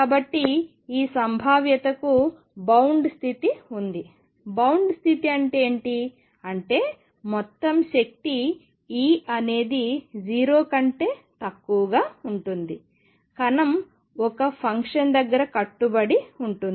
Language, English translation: Telugu, So, there is a bound state for this potential; what do we mean by that bound state; that means, total energy E is going to be less than 0 the particle is going to be bound near a delta function